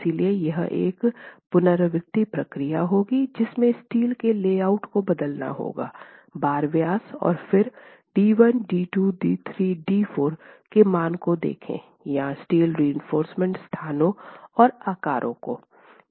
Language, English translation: Hindi, So it would be an iterative process to go and change the layout of steel, the bar diameters, and then look at the values D1, D2, D3, D4 or whatever those steel reinforcement locations and sizes are